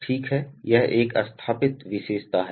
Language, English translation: Hindi, Okay this is a installed characteristic